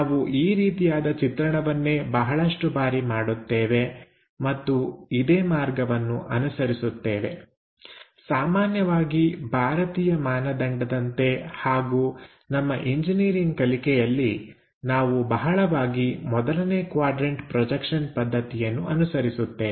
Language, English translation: Kannada, This is the way we go ahead and most of the cases, at least for Indian standards and alsofor our engineering drawing course, we extensively follow this 1st quadrant system